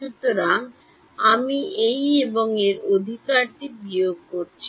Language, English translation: Bengali, So, I am subtracting this and this right